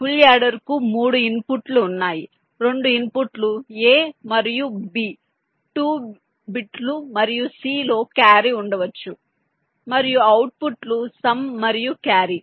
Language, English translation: Telugu, ah, full adder has three inputs: the two inputs a and b two bits and may be a carrion c, and the outputs are some and carry